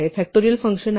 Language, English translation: Marathi, Is the factorial function